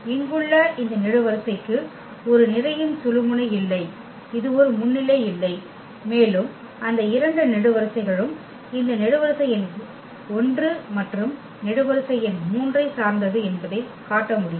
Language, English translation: Tamil, These column here does not have a pivot this does not have a pivot and one can show that those two columns depend on this column number 1 and column number 3